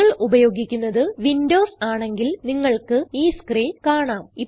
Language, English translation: Malayalam, And If you are a Windows user, you will see this screen